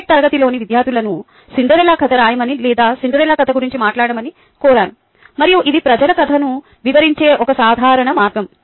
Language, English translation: Telugu, i have asked students in my mtech class to write the cinderella story, ah, um, or or to talk about the cinderella story, and this is a typical way in which people narrate the story